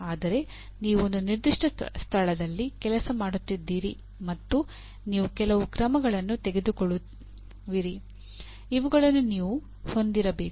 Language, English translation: Kannada, But the fact that you are working in a certain place and you are taking some actions, you have to own them